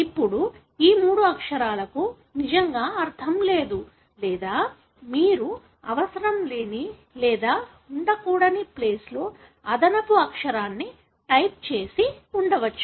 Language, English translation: Telugu, Now, these three letters really doesn’t make any sense or you could have typed an extra letter in a place where it is not required or should not be there